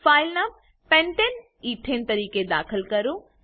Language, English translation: Gujarati, Select the file named pentane ethane from the list